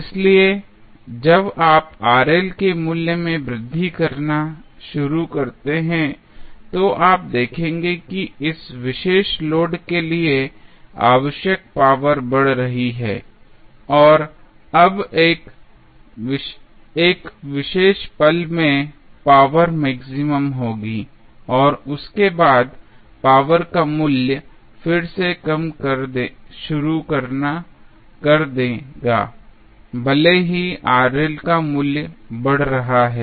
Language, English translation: Hindi, So, when you start increasing the value of Rl, you will see that power which is required for this particular load is increasing and now, at 1 particular instant the power would be maximum and after that the value of power will again start reducing even if the value of Rl is increasing